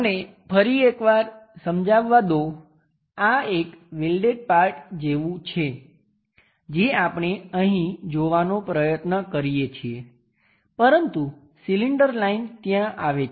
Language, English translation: Gujarati, Let me explain once again; this is more like a welded kind of thing portion what we are trying to see here, but the cylinder line comes there